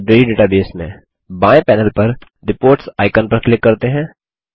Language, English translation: Hindi, In the Library database, let us click on the Reports icon on the left panel